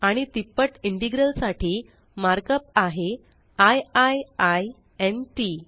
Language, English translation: Marathi, And the mark up for a triple integral is i i i n t